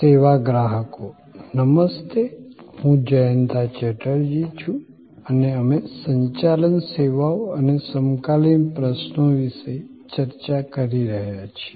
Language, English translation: Gujarati, Hello, I am Jayanta Chatterjee and we are discussing about Managing Services and the Contemporary Issues